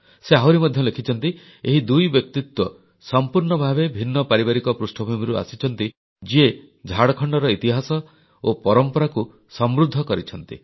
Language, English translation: Odia, He further states that despite both personalities hailing from diverse family backgrounds, they enriched the legacy and the history of Jharkhand